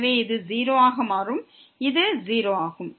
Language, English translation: Tamil, So, this will become 0 and this is 0